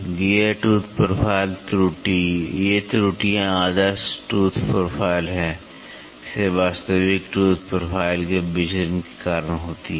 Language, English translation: Hindi, The gear tooth profile error, these errors are caused by deviation of the actual tooth profile from the ideal tooth profile